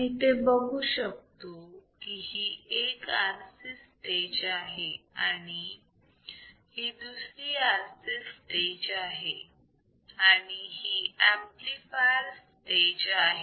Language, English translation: Marathi, So, we see there is one RC here there is one RC over here and there is a amplifier stage correct